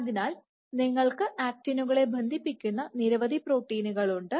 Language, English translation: Malayalam, So, you have several different actin cross linking proteins